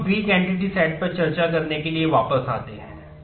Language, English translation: Hindi, Now, let us go back to discussing the weak entity sets